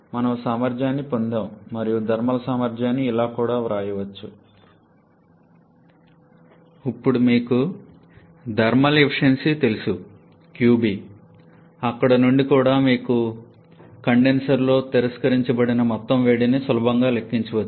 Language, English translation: Telugu, We have got the efficiency and you know that the thermal efficiency can also be written as 1 qC upon qB now you know thermal efficiency you know qB from there also you can easily calculate total amount of heat rejected in the condenser